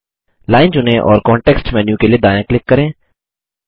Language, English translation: Hindi, Select the line and right click for the context menu